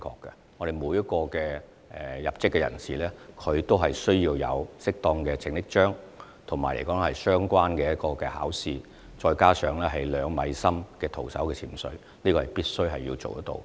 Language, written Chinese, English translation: Cantonese, 因為每名入職的救生員也須持有適當的救生章、通過相關考試，並符合徒手潛水至2米水深處的考核要求。, Every lifeguard employed must have the required lifeguard awards and must pass the relevant tests and the two - metre deep diving test